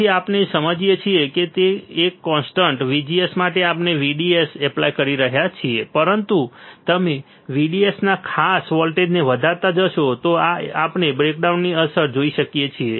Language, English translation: Gujarati, So, what we understand is that for a constant VGS we can apply VDS, but you see exceed certain voltage of VDS we may see the breakdown effect